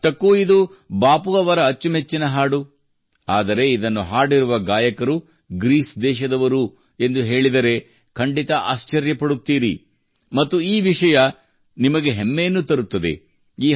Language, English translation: Kannada, After all, this is Bapu'sfavorite song, but if I tell you that the singers who have sung it are from Greece, you will definitely be surprised